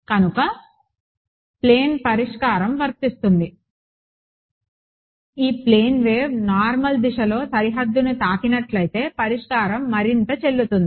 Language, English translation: Telugu, So, plane solution is valid further if this plane wave were hitting the boundary normally then this expression holds right